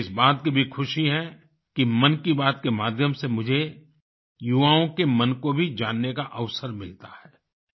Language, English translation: Hindi, I am happy also about the opportunity that I get through 'Mann Ki Baat' to know of the minds of the youth